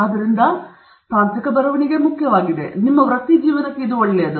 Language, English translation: Kannada, Therefore, technical writing is important; it is good for you, for your profession